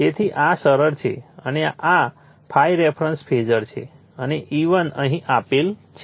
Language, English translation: Gujarati, So, this is simply and this is the ∅ the reference phasor right and E1 is given here